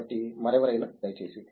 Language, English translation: Telugu, Anyone else, please